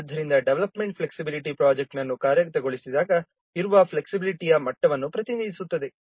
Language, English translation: Kannada, Development flexibility represents the degree of flexibility that exists when implementing the project